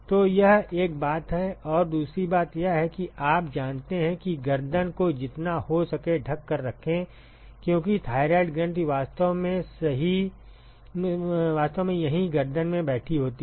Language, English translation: Hindi, So, that is one thing and the second thing is you know cover the cover the neck as for as far as possible because, the thyroid gland is actually sitting in the neck here right